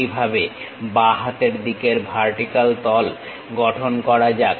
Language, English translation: Bengali, Similarly, let us construct left hand vertical face